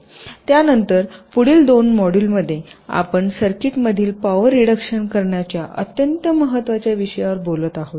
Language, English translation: Marathi, then in the next two modules we shall be talking about the very important issue of reduction of power in circuits